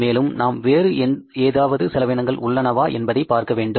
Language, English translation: Tamil, Now let's see is there any other head of expense